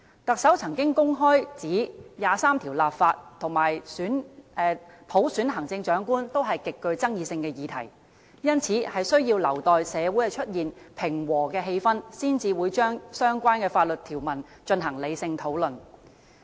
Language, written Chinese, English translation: Cantonese, 特首曾經公開指出，《基本法》第二十三條立法和普選行政長官均是極具爭議性的議題，因此需要留待社會出現平和的氣氛，才會就相關法律條文進行理性討論。, The Chief Executive says publicly in a past occasion that legislating for Article 23 of the Basic Law and selecting the Chief Executive by universal suffrage are highly controversial issues and she will restart sensible discussion on the related provisions only when there is a peaceful atmosphere in society